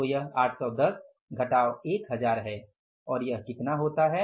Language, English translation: Hindi, So it is 810 minus 1,000 and this works out as how much